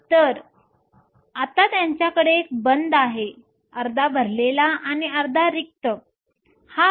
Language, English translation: Marathi, So, that now they have a band there is half full and half empty